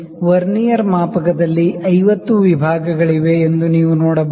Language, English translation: Kannada, So, you can see that there are 50 divisions on the Vernier scale